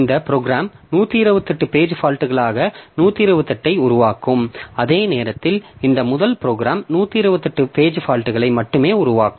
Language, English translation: Tamil, So in that case this program will generate 128 into 128 page faults whereas this first program will generate only 128 page faults